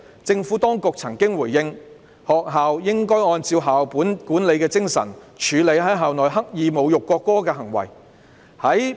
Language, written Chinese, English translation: Cantonese, 政府當局曾回應，學校應按校本管理精神處理在校內刻意侮辱國歌的行為。, The Administration responded that schools should handle any act of intentionally insulting the national anthem within the school premises according to the spirit of school - based management